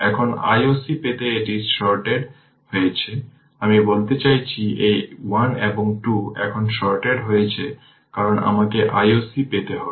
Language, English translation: Bengali, Now, to get I o c this is sorted right I mean this, this 1 and 2 is sorted now because we have to get I o c